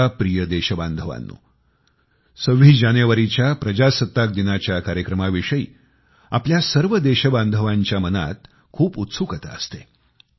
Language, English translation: Marathi, My dear countrymen, there is a lot of curiosity regardingthe celebration of RepublicDay on 26th January, when we remember those great men who gave us our Constitution